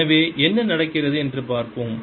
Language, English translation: Tamil, so let's see what is happening